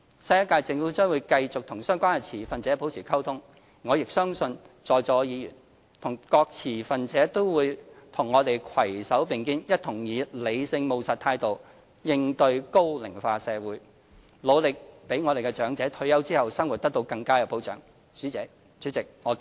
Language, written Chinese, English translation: Cantonese, 新一屆政府將會繼續與相關持份者保持溝通，而我亦相信在座議員和各持份者都會與我們攜手並肩，一同以理性務實態度應對高齡化社會，努力讓長者退休後的生活得到更佳保障。, The new Government will maintain contact with stakeholders concerned and I trust Members and stakeholders will join us in the task to sensibly and practically address challenges of an ageing society and to strive for better protecting elderly peoples retirement life